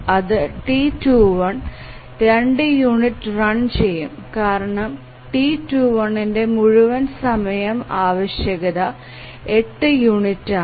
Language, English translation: Malayalam, The T2 runs for two units because the total requirement for T2 is 8 units